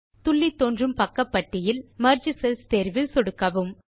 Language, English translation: Tamil, In the sidebar which pops up, click on the Merge Cells option